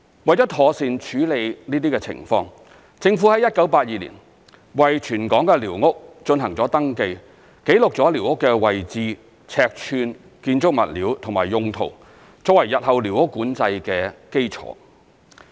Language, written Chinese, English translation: Cantonese, 為了妥善處理這些情況，政府於1982年為全港的寮屋進行登記，記錄了寮屋的位置、尺寸、建築物料及用途，作為日後寮屋管制的基礎。, In order to properly tackle these situations the Government conducted a territory - wide registration of squatter structures in 1982 recording the location size building materials and uses of the squatters . The information formed the basis for the future squatter control